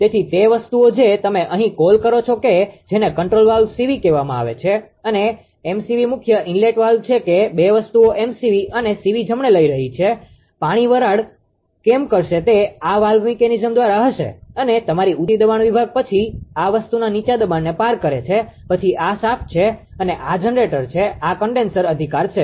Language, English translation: Gujarati, So, those things here what you call that this ah this is called control valve CV right and, MSV is main inlet stop valve that 2 things are taking MSV and CV right, why the water will steam flow will be there through this valve mechanism and your high pressure section then cross over the low pressure the if this thing, then this is the shaft and this is a generator this is a condenser right